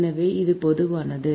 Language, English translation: Tamil, so this is the general